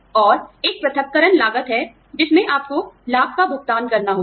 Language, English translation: Hindi, And, there is a separation cost, in which, you have to pay, benefits